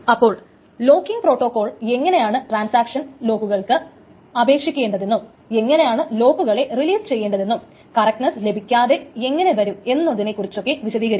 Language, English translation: Malayalam, So essentially the locking protocol will try to specify how a transaction should request for locks and how it should release the logs such that the correctness is not violated